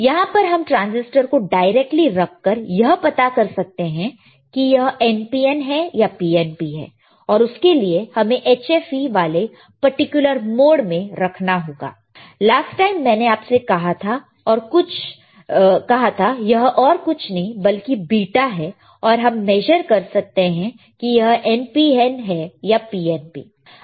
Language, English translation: Hindi, Now you see in this multimeter that you see here, there is no functionality that we can measure the transistor here we can directly place the transistor and know whether it is NPN or PNP by keeping it in this particular mode which is HFE, I told you last time and there is nothing, but the beta and we can measure whether it is NPN or PNP